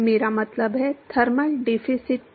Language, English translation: Hindi, I mean thermal diffusivity